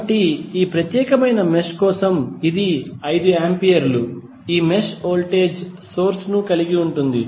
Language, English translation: Telugu, So, this is 5 ampere for this particular mesh, this mesh contains voltage source